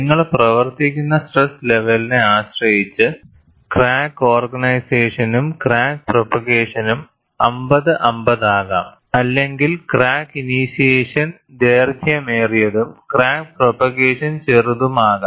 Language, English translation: Malayalam, Depending on which stress level that you operate, crack initiation and crack propagation could be 50 50, or crack initiation could be longer and crack propagation could be smaller